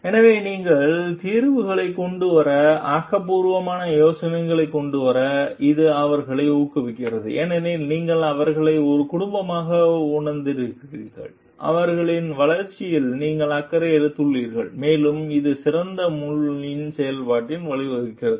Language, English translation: Tamil, So, which encourages them to come up with creative ideas to come up with maybe better solutions because they you know like you have made them feel like a family, you have taken care for their growth and it like leads to better brain functioning